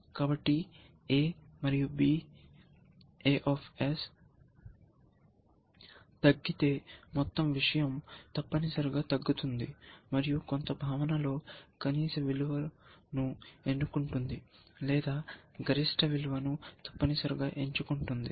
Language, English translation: Telugu, So, a and b, if a falls and the whole thing becomes falls essentially, so and also in some sense chooses the minimum value or chooses the maximum value essentially